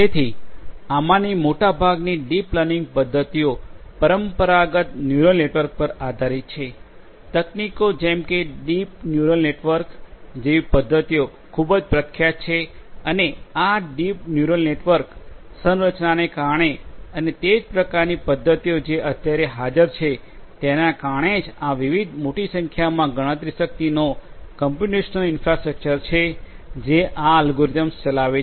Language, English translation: Gujarati, So, most of these deep learning methods are based on traditional neural networks; techniques, such as methodologies such as deep neural networks are quite popular and because of the structure of these deep neural networks and so on and the similar kinds of methodologies that are present what is required is to have large amounts of computation power of these different you know of the computational infrastructure which run these algorithms